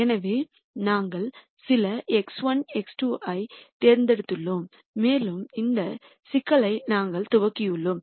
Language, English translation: Tamil, So, we have picked some x 1, x 2, and we have initialized this problem